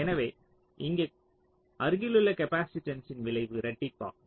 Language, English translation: Tamil, so here the effect of the adjacent capacitance will get doubled